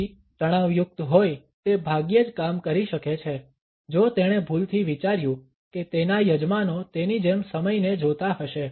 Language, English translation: Gujarati, So, stressed out he could hardly operate he mistakenly thought his hosts would look at time like he did